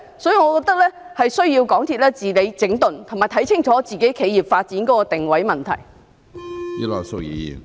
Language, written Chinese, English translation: Cantonese, 所以，我覺得港鐵公司需要治理、整頓，以及看清楚自己企業發展的定位問題。, Therefore I consider that MTRCL needs a shakeup and revamp and to make clear the positioning of its corporate development